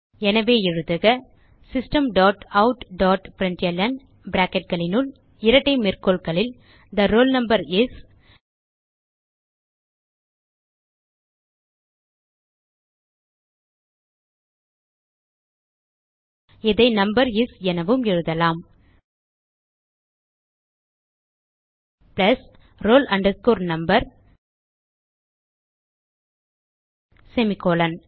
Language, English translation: Tamil, So, type System dot out dot println within brackets and double quotes The roll number is we can type it as number is close the double quotes plus roll number semicolon